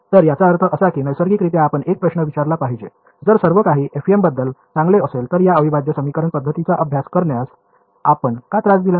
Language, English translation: Marathi, So, I mean looking at this naturally you should ask a question if everything is so, great about FEM, why did we bother studying this integral equation method at all